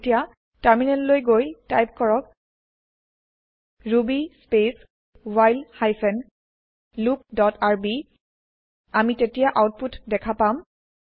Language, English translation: Assamese, Now open the terminal and type ruby space break hyphen loop dot rb and see the output